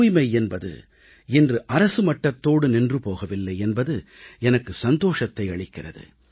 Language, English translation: Tamil, And I'm happy to see that cleanliness is no longer confined to being a government programme